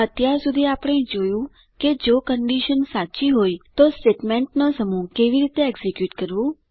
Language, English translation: Gujarati, So far we have seen how to execute a set of statements if a condition is true